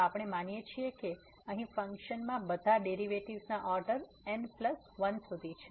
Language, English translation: Gujarati, So, we assume that the function here has all the derivatives up to the order plus 1